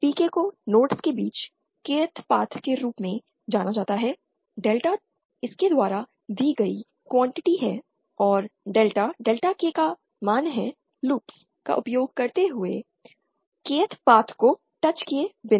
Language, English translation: Hindi, PK is what is known as the path again of the Kth path between the nodes, delta is the quantity given by this and delta K is the value of delta using loops not touching the Kth parth